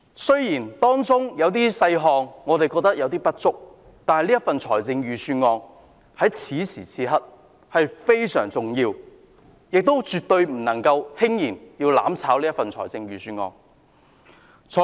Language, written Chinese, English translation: Cantonese, 雖然預算案中的一些細節尚有不足，但預算案在此時此刻非常重要，絕不能輕言"攬炒"預算案。, Though there are still inadequacies with certain details the Budget is very important at this juncture and we must not casually speak of vetoing the Budget by way of mutual destruction